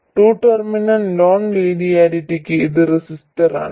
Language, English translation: Malayalam, And for a two terminal non linearity that is a resistor